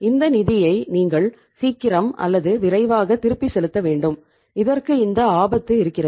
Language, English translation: Tamil, You have to repay these funds as early as possible or as quickly as possible so that risk would be there